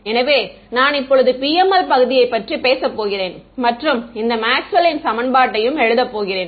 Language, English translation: Tamil, So, now I am talking about the PML region where I am going to write this Maxwell’s equation